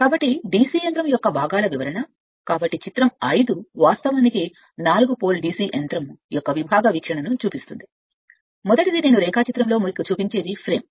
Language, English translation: Telugu, So description of the parts of a DC machine, so figure 5 actually shows the sectional view of four pole DC machine, first one is the frame I will show you in the diagram